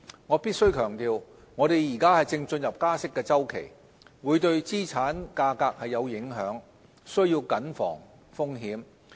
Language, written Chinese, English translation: Cantonese, 我必須強調，我們現正進入加息周期，會對資產價格有影響，須慎防風險。, I must emphasize that we need to manage the risk of the impact of rate hike cycle on asset prices